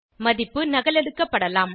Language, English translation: Tamil, Value can be duplicate